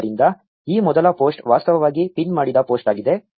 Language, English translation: Kannada, So, this first post is actually a pinned post